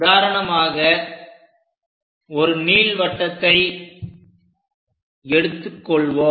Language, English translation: Tamil, For example, let us take an ellipse